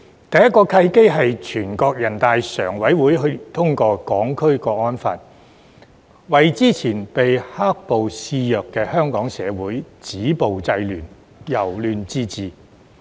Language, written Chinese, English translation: Cantonese, 第一個契機是全國人大常委會去年通過《香港國安法》，為之前被"黑暴"肆虐的香港社會止暴制亂、由亂至治。, The first opportunity was when the Standing Committee of the National Peoples Congress NPCSC passed the National Security Law for Hong Kong last year to curb violence and disorder under the ravage of black - clad riots in Hong Kong society thus bringing about a transition from chaos to order